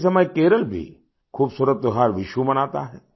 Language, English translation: Hindi, At the same time, Kerala also celebrates the beautiful festival of Vishu